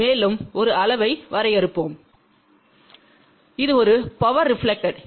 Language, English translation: Tamil, Let us also define one more quantity which is a power reflected